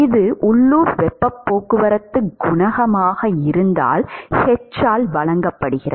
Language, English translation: Tamil, That is given by h, if this is the local heat transport coefficient